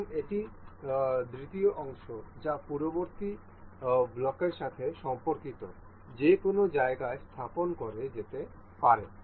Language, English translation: Bengali, And this is the second part that can be placed anywhere in relation to the previous block